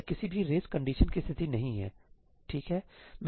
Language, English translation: Hindi, It is not going to cause any race conditions, right